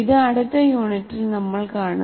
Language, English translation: Malayalam, This is one thing we'll see in the next unit